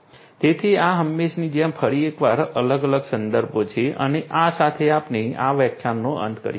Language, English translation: Gujarati, So, these are these different references once again as usual and with this we come to an end of this particular lecture as well